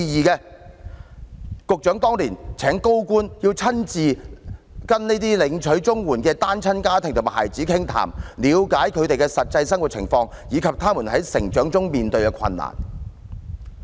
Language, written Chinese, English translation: Cantonese, 局長當年請高官親自跟這些領取綜援的單親家庭和孩子傾談，了解他們的實際生活情況，以及他們在成長中面對的困難。, Back then the Secretary had invited senior government officials to chat with these single - parent families and children to understand the actual situation in their daily lives and the difficulties they faced in growth . I wonder if I can call this a twist of fate